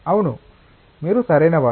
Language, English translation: Telugu, Yes, you are correct